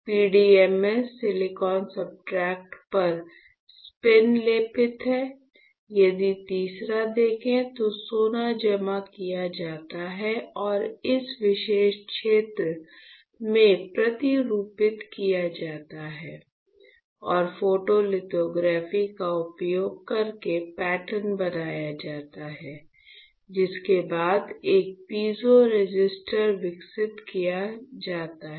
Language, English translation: Hindi, So, PDMS spin coated on the silicon substrate; if you see the third one, the third one would be the gold is deposited and is patterned in this particular region gold is deposited and pattern using photolithography followed by developing a piezo resistor